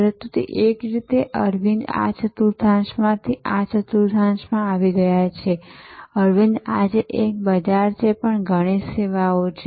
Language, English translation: Gujarati, But, in a way therefore, Arvind has moved from this quadrant to this quadrant, Arvind today, same market but many services